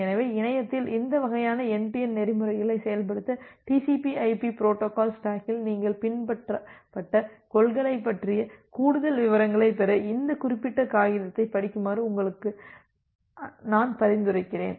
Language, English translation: Tamil, So, I suggest all of you to read this particular paper to get more details about the principles which you are adopted in the TCP/IP protocol stack to implement this kind of end to end protocols over the internet